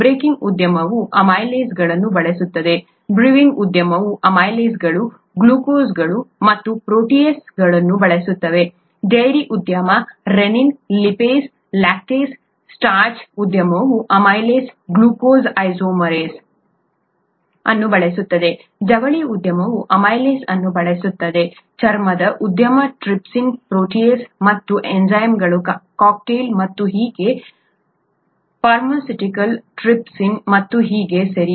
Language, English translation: Kannada, Baking industry uses amylases; brewing industry uses amylases, glucanases and proteases; dairy industry, rennin, lipases, lactases; starch industry uses amylases, glucose isomerase; textile industry uses amylase; leather industry, trypsin, protease and cocktails of enzymes and so on; pharmaceuticals, trypsin and so on, okay